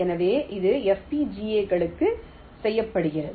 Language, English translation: Tamil, so this is what is done for a fbgas